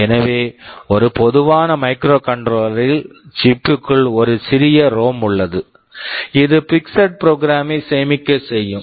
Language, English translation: Tamil, So, in a typical microcontroller there is a small ROM inside the chip, this will be storing the fixed program, the program cannot be changed